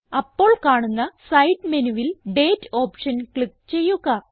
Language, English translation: Malayalam, In the side menu which appears, click on the Date option